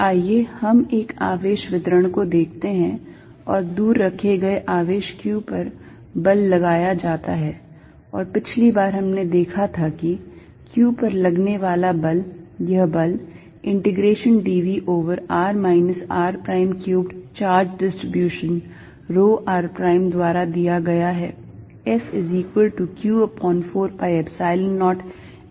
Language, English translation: Hindi, Let us look at a charge distribution and the force is applied on a charge q far away, and last time we saw that this force is given by integration dv over r minus r prime cubed charge distribution rho r prime acting on q